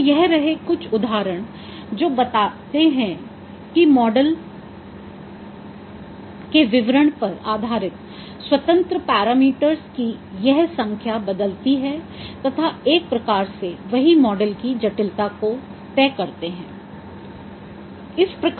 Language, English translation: Hindi, So this is some example that depending upon your model description, this number of independent parameters they vary and they determine in one way the complexity of a model